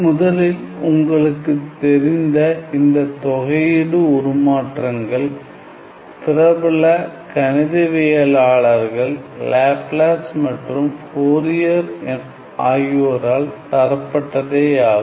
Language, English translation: Tamil, And the first you know the first mention of these integral transforms were of course, by these famous mathematicians Laplace and Fourier